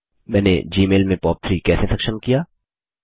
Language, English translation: Hindi, How did I enable POP3 in Gmail